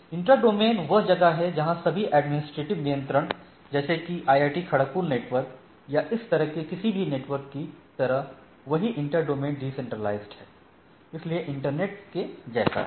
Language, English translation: Hindi, Intra domain is somewhat all routers under the single administrative control like, IIT Kharagpur network or any such networks or whereas inter domain is decentralized, so like scale of internet and type of things